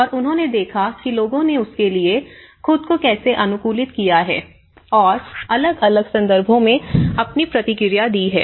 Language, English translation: Hindi, And they have looked at how people have adapted to it, how people have responded to it in different context